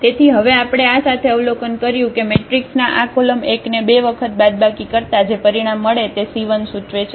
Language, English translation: Gujarati, So, what we observed now with this that minus this two times the C 1 denotes this column 1 of our matrix